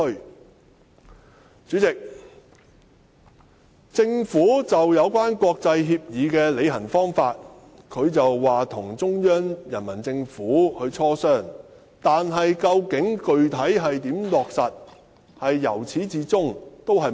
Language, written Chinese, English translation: Cantonese, "代理主席，關於國際協議的履行方法，政府表示會與中央政府進行磋商，但至於如何具體落實，卻由此至終沒有提及。, Deputy President with regard to the implementation of international agreements the Government indicated that it would engage in consultations with Central Peoples Government but it has all along remained silent on the specific implementation